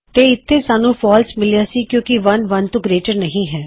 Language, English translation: Punjabi, So we have got false here because 1 is not greater than 1